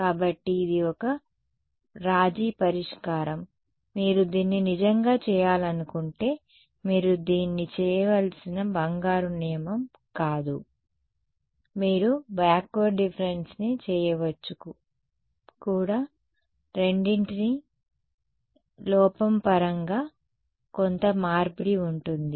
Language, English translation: Telugu, So, that is a compromise solution it is not a golden rule that you have to do this if you really want to do you could do backward difference also both will have some tradeoff in terms of the error